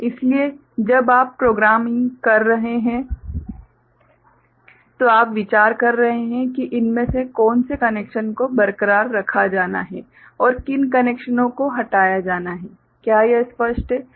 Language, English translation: Hindi, So, when you are doing programming, so your are considering which of these connections are to be retained and which of the connections are to be removed, is it clear ok